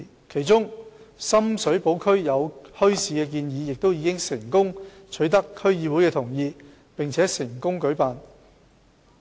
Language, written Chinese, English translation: Cantonese, 其中，在深水埗區設立墟市的建議已取得區議會的同意，並已成功舉辦。, One of the proposals for setting up a bazaar in Shum Shui Po gained the consent of the DC and was successfully staged